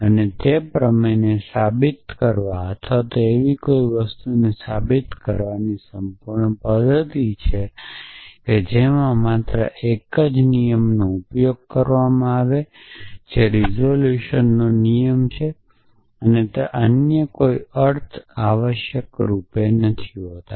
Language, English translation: Gujarati, And it is a complete method for a proving the theorem or proving something which uses only one rule of inference which is the resolution rule and it does not mean any other essentially